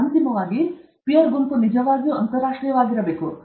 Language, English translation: Kannada, Then, finally, the peer group must be truly international